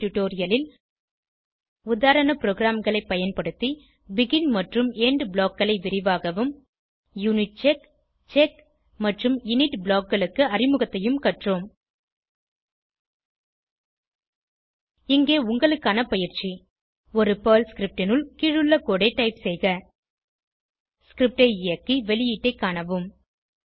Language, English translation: Tamil, In this tutorial, we have learnt BEGIN and END blocks in detail and Introduction to UNITCHECK, CHECK and INIT blocks using sample programs Here is assignment for you Type the below code inside a PERL script Execute the script and observe the output